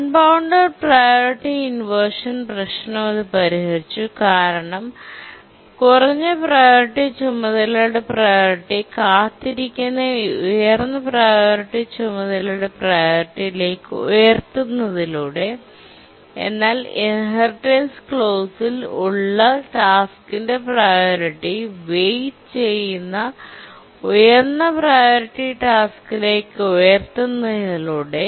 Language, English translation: Malayalam, It solved the unbounded priority inversion problem because in the inheritance clause the priority of the low priority task is raised to the priority of the high task that is waiting, high priority task that is waiting and therefore the intermediate priority tasks that were preempting the low priority task from CPU users cannot do so and therefore the unbounded priority problem is solved